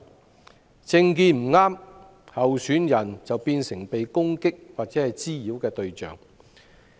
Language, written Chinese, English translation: Cantonese, 假如政見不合，候選人便會成為被攻擊或滋擾的對象。, Candidates with different political views will be the targets of attack or nuisance